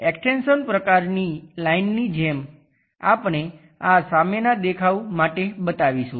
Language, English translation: Gujarati, More like an extension kind of line we will show this is for front view